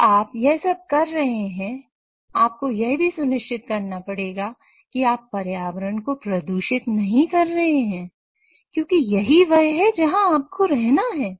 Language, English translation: Hindi, While doing all this, you also have to make sure that you are not polluting the environment because that is what eventually even you are going to live in